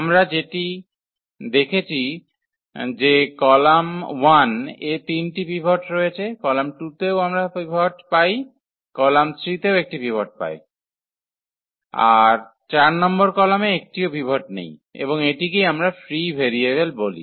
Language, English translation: Bengali, What we have observed that there are these 3 pivots in column 1 we have pivot, in column 2 also we have pivot, column 3 also has a pivot while the column 4 does not have a pivot and this is what we call the free variable